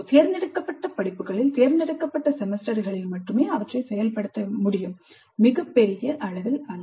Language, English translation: Tamil, They can be implemented only in selected semesters in selected courses, not on a very large scale